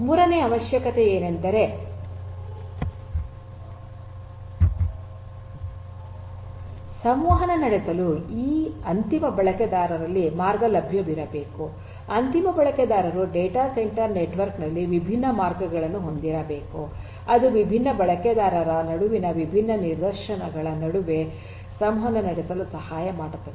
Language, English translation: Kannada, Say third requirement is that path should be available among the end users to communicate, end users should have different paths in the data centre network which will help them to communicate between different instances between different different users and so on